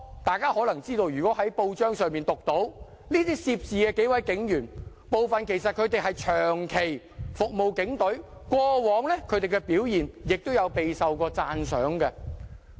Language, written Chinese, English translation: Cantonese, 大家看過報章報道，可能知道這些涉事警員中有幾名其實長期服務警隊，過往的表現亦備受讚賞。, Members who have read the press reports may have learnt that several of the policemen involved have actually served in the Police Force for a long time and their past performance was commendable